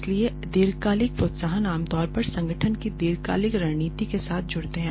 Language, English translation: Hindi, So, long term incentives usually tie in with the long term strategy of the organization